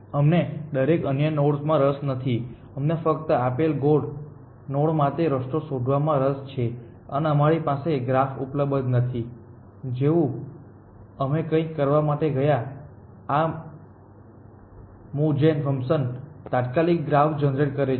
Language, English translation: Gujarati, We are not interested in to every other nod, we are only interested in finding a path to a given goal node and we do not have the graph available to us, the graph is generated on the fly as we go along essentially for some were we have this function, move gen function